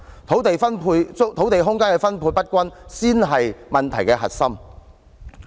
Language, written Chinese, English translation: Cantonese, 土地空間分配不均才是問題的核心。, The uneven distribution of land and space is the crux of the problem